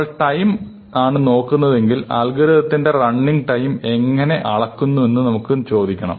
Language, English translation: Malayalam, So, if you are looking at time, we have to ask how we measure the running time